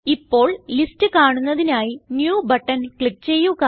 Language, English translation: Malayalam, Now, click on New button to view the list